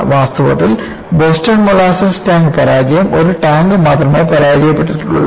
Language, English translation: Malayalam, In fact,in Boston molasses tank failure, there was only one tank that failed